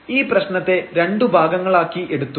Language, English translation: Malayalam, So, we will break into two problems